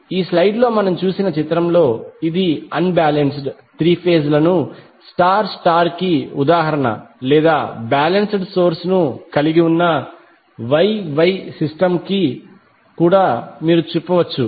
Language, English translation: Telugu, So in the figure which we just saw in this slide this is an example of unbalanced three phase star star or you can also say Y Y system that consists of balance source